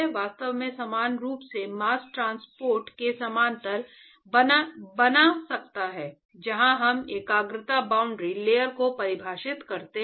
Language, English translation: Hindi, So, one could actually make a parallel to mass transport in a similar fashion where we define concentration boundary layer